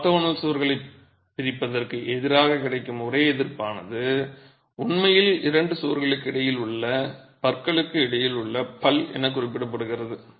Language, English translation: Tamil, The only resistance that is available against the separation of orthogonal walls is really what is referred to as the tothing between the two things between the two walls